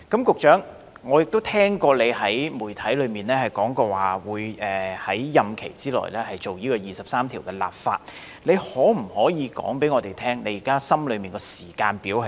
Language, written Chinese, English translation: Cantonese, 局長，我曾聽聞你對媒體表示會在任期之內，就《基本法》第二十三條進行立法工作，那麼你可否告訴我們現時心裏的時間表為何？, Secretary I have heard that you did indicate to the media that you would take forward the legislating for Article 23 of the Basic Law within your term of office and such being the case can you tell us what is the planned timetable you now have in this respect?